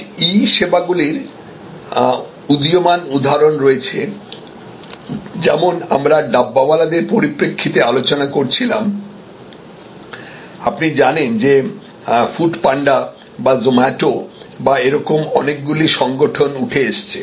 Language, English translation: Bengali, Today there are rising examples of E services like as we were discussing in the context of the dabbawalas you know organizations like food panda or zomato or and so on so many of them are coming up